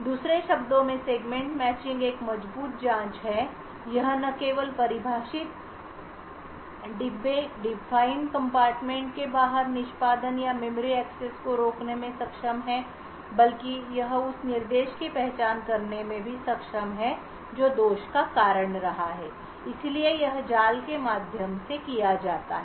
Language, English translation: Hindi, In other words the Segment Matching is a strong checking, it is not only able to prevent execution or memory accesses outside the closed compartment that is defined but it is also able to identify the instruction which is causing the fault, so this is done via the trap